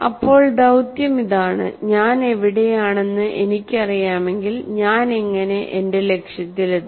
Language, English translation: Malayalam, Then the mission is if I know where I am and how do I reach my target